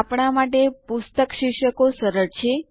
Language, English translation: Gujarati, For us, book titles are friendlier